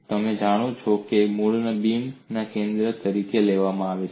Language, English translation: Gujarati, The origin is taken as the center of the beam